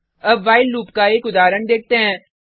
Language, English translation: Hindi, Now let us look at an example of while loop